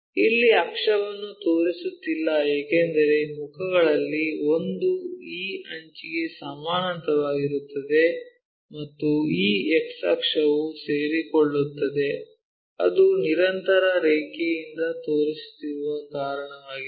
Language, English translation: Kannada, Here axis we are not showing because one of the face is parallel this edge and this x axis, ah axis, coincides that is the reason we are showing by a continuous line